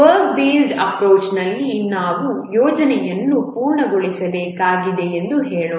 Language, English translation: Kannada, In the work based approach, let's say we need to complete a project